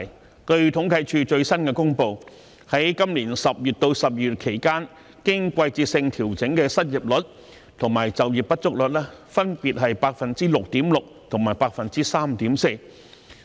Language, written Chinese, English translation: Cantonese, 根據政府統計處最新公布，在去年10月至12月期間，經季節性調整的失業率及就業不足率分別是 6.6% 及 3.4%。, According to the latest figures published by the Census and Statistics Department during October to December last year the seasonally - adjusted unemployment rate and the underemployment rate were 6.6 % and 3.4 % respectively